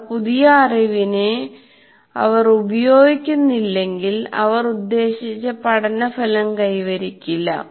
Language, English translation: Malayalam, If they are not engaging, if new knowledge, they will not attain the intended learning outcome